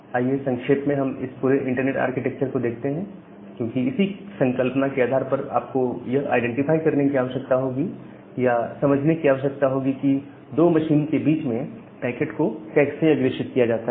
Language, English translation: Hindi, Now let us briefly look into this entire internet architecture because that has the notion or that has the concept which you will require to identify or to understand that how a packet is being forwarded between 2 machines